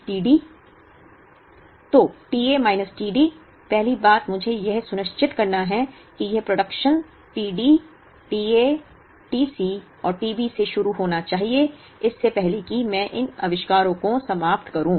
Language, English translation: Hindi, So, t A minus t D, first thing I have to ensure is these productions t D, t A, t C and t B should start, before I exhaust these inventories